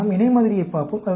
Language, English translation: Tamil, Let us look at the paired sample